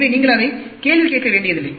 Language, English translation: Tamil, So, you do not have to question that